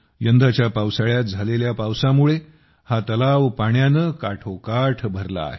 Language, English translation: Marathi, This time due to the rains during the monsoon, this lake has been filled to the brim with water